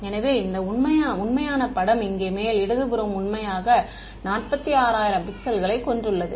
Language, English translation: Tamil, So, this is the original picture over here top left this is the original which has some how many 46000 pixels